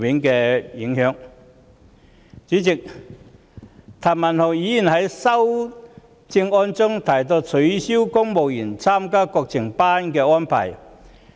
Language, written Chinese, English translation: Cantonese, 代理主席，譚文豪議員在修正案中建議取消公務員參加國情研習班的安排。, Deputy President Mr Jeremy TAM proposed to in his amendment abolish the arrangements for civil servants to attend Courses on National Affairs